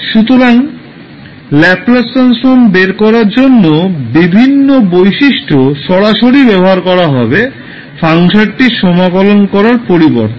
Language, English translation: Bengali, So, we will use various properties to directly find out the value of Laplace transform rather than going with the standard procedure of the integration of the function